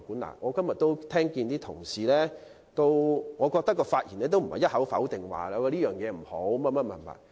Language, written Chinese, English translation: Cantonese, 根據今天所聽到同事的發言，他們也不是一口否定這項建議。, Judging from the speeches made by Members today none of them has denied the proposal outright